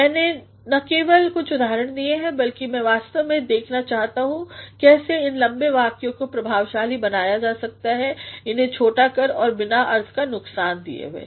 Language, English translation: Hindi, I have not only provided some examples but I am actually trying to show you how these long sentences can be made effective by making it short without any loss of meaning